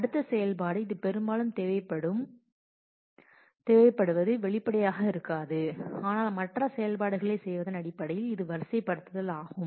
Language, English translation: Tamil, The next operation which is often required may not be explicitly, but in terms of doing other operations is sorting